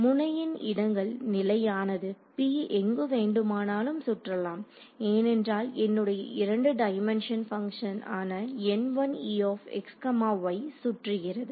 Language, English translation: Tamil, The node locations are fixed P can roam around anywhere inside, as P roams around my function N 1 e is now a 2 dimensional function